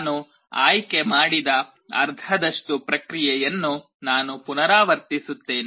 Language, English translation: Kannada, I repeat the process for the half that I have selected